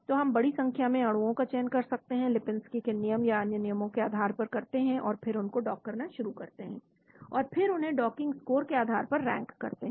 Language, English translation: Hindi, So we select large number of molecules based on say Lipinski’s rule or other rules, and then start docking them, and then rank them based on the docking scores